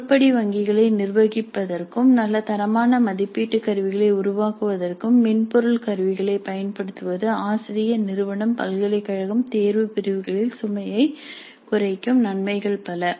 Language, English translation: Tamil, Use of software tools for management of item banks and generating good quality assessment instruments will reduce the load on the faculty, on the institute, on the university, on the exam sections